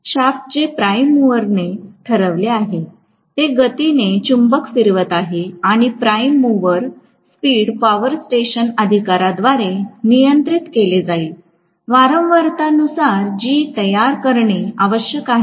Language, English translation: Marathi, The shaft is going to rotate the magnet in the speed whatever is dictated by the prime mover and the prime mover speed will be controlled by the power station authorities, according to the frequency that needs to be generated